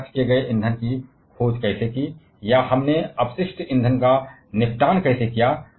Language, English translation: Hindi, How we discovered the spent fuel, or how we disposed the waste fuel